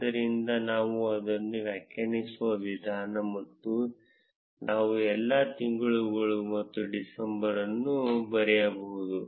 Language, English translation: Kannada, So, the way we define it is and we can write all the months and December